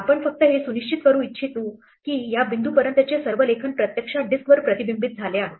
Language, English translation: Marathi, We might just want to make sure that all writes up to this point have been actually reflected on the disk